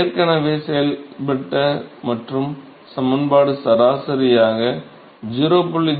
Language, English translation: Tamil, Those who have already performed and the equation is average that will be 0